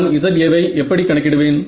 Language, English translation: Tamil, How will I calculate this Za